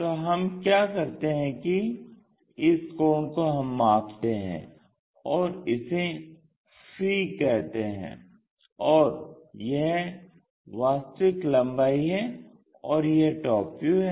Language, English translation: Hindi, Now, what we have to do is this angle we will measure, let us call phi, and this is true length, and this one is top view